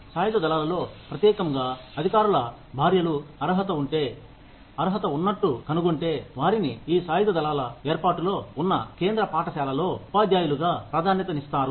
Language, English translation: Telugu, In the armed forces, specifically, the wives of the officers are, if qualified, if found qualified, they are preferred as teachers in the central schools, located in these armed forces set ups